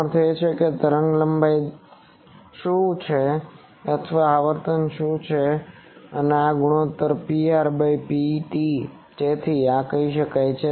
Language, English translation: Gujarati, That means, what is the wavelength or what is the frequency and this ratio P r by P t so this can be done